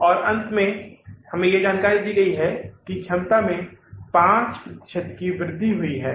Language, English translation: Hindi, And finally, there is given information to us, there was an increase in the capacity by 5%